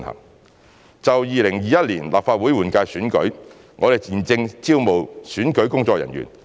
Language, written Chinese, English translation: Cantonese, 三就2021年立法會換屆選舉，我們現正招募選舉工作人員。, 3 We are now recruiting electoral staff for the 2021 Legislative Council General Election